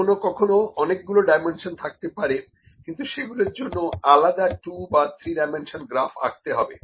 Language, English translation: Bengali, Sometime they are multiple dimensions and that we have to draw the separate 2 dimensions or 3 dimensions graphs for that